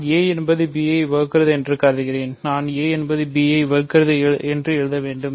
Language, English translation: Tamil, So, I am assuming a divides b, so, so I should write a divides b